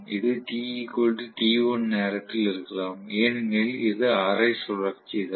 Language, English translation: Tamil, This may be at time t equal to t1 because it is after all only half revolution